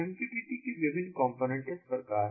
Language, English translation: Hindi, the different components of mqtt are as follows